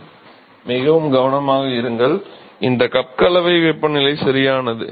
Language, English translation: Tamil, Be very careful this is the mixing cup temperature right